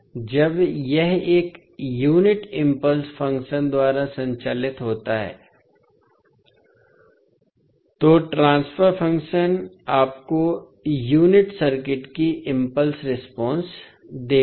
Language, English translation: Hindi, So, when it is excited by a unit impulse function, the transfer function will give you the unit impulse response of the circuit